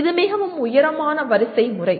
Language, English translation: Tamil, This is a very tall order